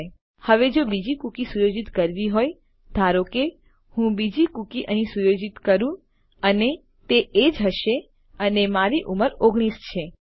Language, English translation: Gujarati, Okay now if had to set another cookie, lets say, I set another cookie here and this will be age and my age is 19